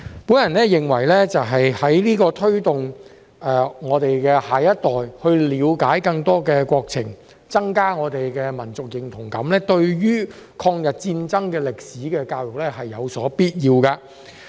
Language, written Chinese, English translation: Cantonese, 我認為，為推動我們的下一代了解更多國情、增加我們的民族認同感，抗日戰爭歷史的教育是有必要的。, In my opinion to incentivize our next generation to understand more about our country and enhance our sense of national identity education on the history of the War of Resistance against Japanese Aggression is necessary